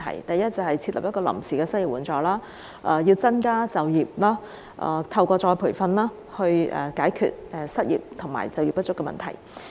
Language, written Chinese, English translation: Cantonese, 首先，應設立臨時失業援助，增加就業，透過再培訓解決失業及就業不足的問題。, First we should introduce a temporary unemployment assistance increase employment opportunities and address unemployment and underemployment through retraining